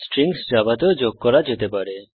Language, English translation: Bengali, Strings can also be added in Java